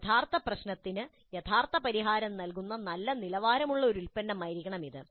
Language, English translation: Malayalam, It must be a product of good quality providing realistic solution to the original problem